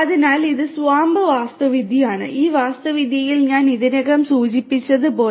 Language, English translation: Malayalam, So, this is the SWAMP architecture and in this architecture as I mentioned already